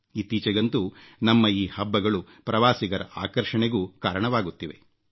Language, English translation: Kannada, Our festivals are now becoming great attractions for tourism